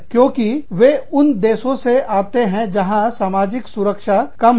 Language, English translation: Hindi, Because, they go to countries, where there are lower social protections